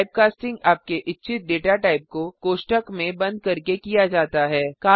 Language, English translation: Hindi, Typecasting is done by enclosing the data type you want within parenthesis